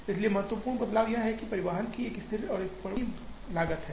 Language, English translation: Hindi, So, the important change is that, there is a fixed and variable cost of transportation